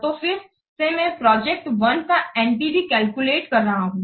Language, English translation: Hindi, So, again, for the project one I am calculating the NPV